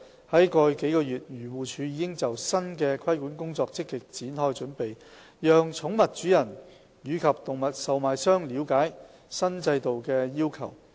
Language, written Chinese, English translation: Cantonese, 在過去數月，漁護署已就新的規管工作積極展開準備，讓寵物主人及動物售賣商了解新制度的要求。, Over the past few months AFCD has been actively preparing for its new regulatory work by apprising pet owners and animal traders of the requirements of the new regime